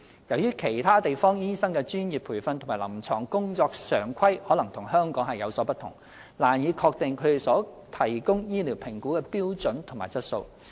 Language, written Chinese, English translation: Cantonese, 由於其他地方醫生的專業培訓及臨床工作常規可能與香港的有所不同，難以確定他們所提供的醫療評估的標準和質素。, Due to differences in professional training and clinical protocols it is difficult to ensure the standard and quality of medical assessments conducted by doctors outside Hong Kong